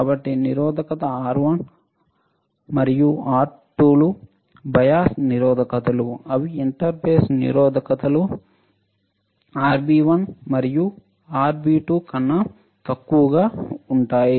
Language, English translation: Telugu, So, resistance R 1 and R 2 are bias resistors which are selected such that they are lower than the inter base resistance RB 1 and RB 2, right